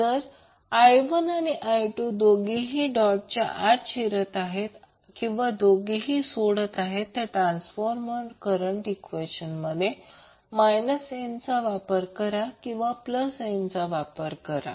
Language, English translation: Marathi, If I 1 and I 2 both enter into or both leave the dotted terminals, we will use minus n in the transformer current equations otherwise we will use plus n